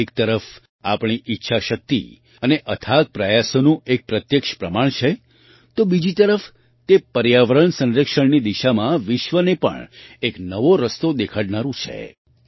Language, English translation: Gujarati, Whereas this evidence is direct proof of our willpower and tireless efforts, on the other hand, it is also going to show a new path to the world in the direction of environmental protection